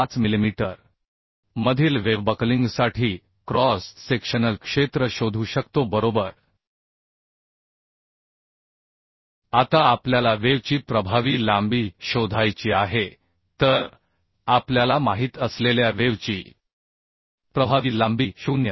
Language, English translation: Marathi, 5 millimetre right Now we have to find out the effective length of the web so effective length of the web we know that is 0